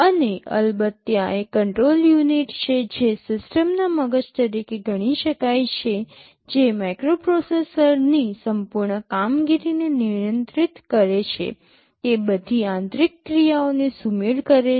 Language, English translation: Gujarati, And of course, there is a control unit which can be considered as the brain of the system, which controls the entire operation of the microprocessor, it synchronizes all internal operations